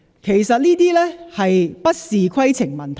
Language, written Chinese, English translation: Cantonese, 其實這些不是規程問題。, Actually those were not points of order